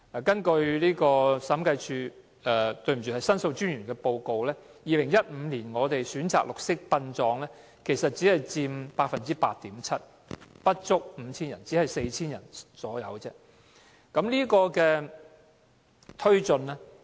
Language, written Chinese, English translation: Cantonese, 根據申訴專員的報告 ，2015 年選擇綠色殯葬的先人家屬只佔 8.7%， 不足 5,000 人，只有大約 4,000 人。, According to the report of The Ombudsman in 2015 only 8.7 % of the relatives of the deceased chose green burial with the number of cases standing at less than 5 000 or roughly 4 000 only